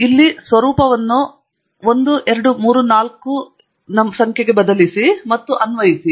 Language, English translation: Kannada, The format here and change it to 1, 2, 3, 4 and Apply